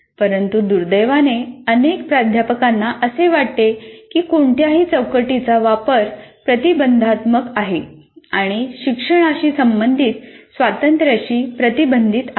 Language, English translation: Marathi, Many faculty members feel use of any framework is restrictive and restricts freedom that should be associated with learning